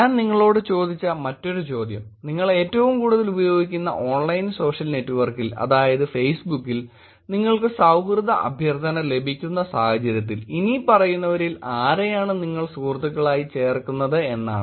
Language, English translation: Malayalam, Another question that I asked you also is about if you receive a friendship request on your most frequently used online social network, which is Facebook in this case which of the following people will you add as friends